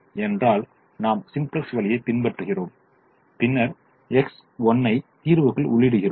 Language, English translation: Tamil, we do the simplex way and then we enter x one into the solution